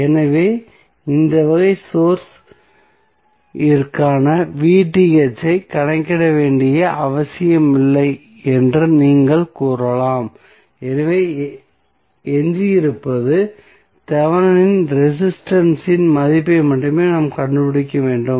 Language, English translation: Tamil, So in that way you can simply say that we do not have any we need not to calculate V Th for this type of source, so what is left is that we need to find out the value of only Thevenin resistance